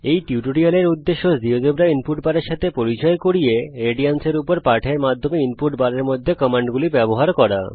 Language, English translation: Bengali, The objective of this tutorial is to introduce you to the Geogebra Input Bar and use of commands in the input bar through a lesson on radians